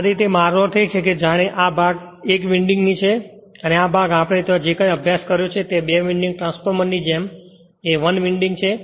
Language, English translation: Gujarati, This way I mean this as if this part is 1 winding and this part is 1 winding like a two winding transformer whatever we have studied there